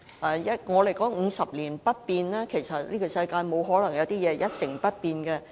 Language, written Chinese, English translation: Cantonese, 我們說 "50 年不變"，但在這世界上，不可能有東西是一成不變的。, While we say that our way of life shall remain unchanged for 50 years nothing is changeless in this world